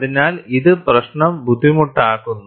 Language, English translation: Malayalam, So, that makes the problem difficult